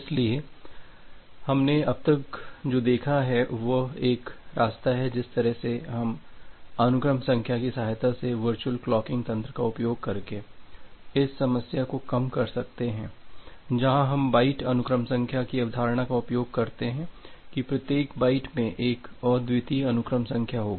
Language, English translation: Hindi, So, what we have looked till now that will the way we can mitigate this problem is by utilizing a virtual clocking mechanism with the help of sequence number, where we are utilizing the concept of byte sequence number that every byte in the network will have a unique sequence number